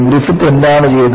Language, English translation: Malayalam, And, what did Griffith do